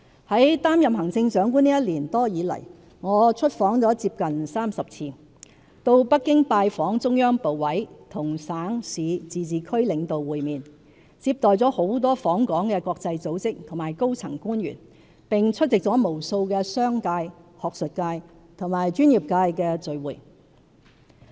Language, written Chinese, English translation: Cantonese, "在擔任行政長官這一年多來，我出訪接近30次，到北京拜訪中央部委，與省、市、自治區領導會面，接待了很多訪港的國際組織和高層官員，並出席了無數的商界、學術界和專業界別的聚會。, In the past year or so since I assumed office as the Chief Executive I made nearly 30 outbound visits called on ministries and commissions of the Central Government in Beijing and met with leaders of provincial municipal and autonomous region governments . I have also received many visiting international organizations and senior officials and attended countless gatherings with the business community academia and professional sectors